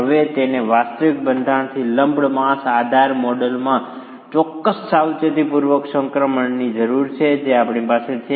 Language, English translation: Gujarati, Now, that requires a certain careful transition from the actual structure to this lumped mass idealistic model that we have